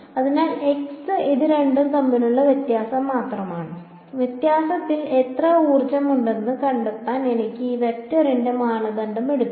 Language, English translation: Malayalam, So, x this is just the difference between the two I can take the norm of this vector to find out how much energy is in the difference